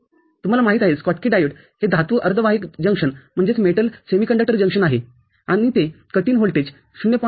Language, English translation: Marathi, Schottky diode you know is a metal semiconductor junction and it can provide a cut in voltage in the range of 0